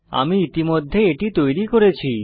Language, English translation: Bengali, I have already created it